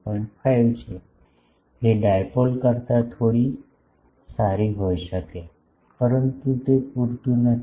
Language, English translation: Gujarati, 5, which may be bit better than dipole, but it is not sufficient